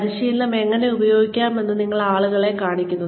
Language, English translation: Malayalam, You show people, how they can use the training